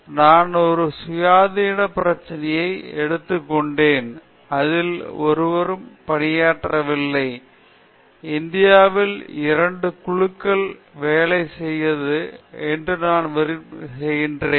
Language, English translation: Tamil, Then I realized that see I took a independent problem in which no one worked, in India hardly two groups work on that and I successfully completed it